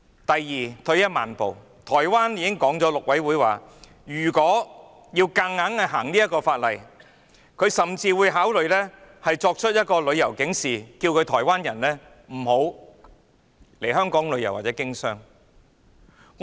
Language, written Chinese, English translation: Cantonese, 第二，退一萬步，台灣陸委會已經表示，如果香港要強行修例，便會考慮發出旅遊警示，呼籲台灣人不要來香港旅遊或經商。, Secondly worst comes to worst the Mainland Affairs Council of Taiwan has already indicated that if Hong Kong forced through the legislative amendment it would consider issuing a travel alert to call on the Taiwanese not to come to Hong Kong for leisure or business